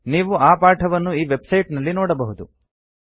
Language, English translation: Kannada, You can find the tutorial at this website